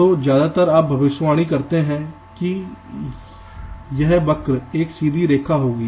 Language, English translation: Hindi, so mostly of predict that this curve will be a straight line